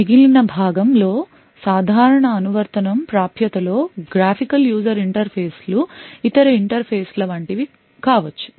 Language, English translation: Telugu, The remaining part could be the regular application like access like the graphical user interfaces other interfaces and so on